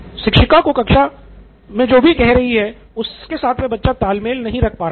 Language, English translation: Hindi, He is not able to keep in pace with what the teacher is saying